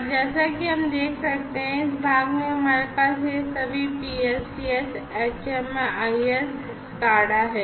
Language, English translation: Hindi, And, as we can see over here this part we have all these PLCS, HMIS, SCADA etcetera